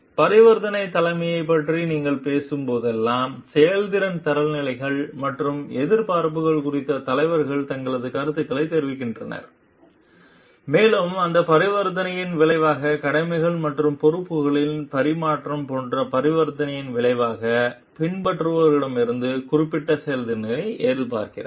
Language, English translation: Tamil, Like when you whenever you are talking of transactional leadership the leader is taking giving his views on the performance standards and expectations and as a result of that transaction of like exchange of duties and responsibilities is expecting certain performance from the follower